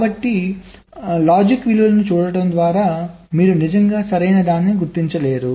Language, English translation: Telugu, so just by looking at the logic value you really cannot distinguish right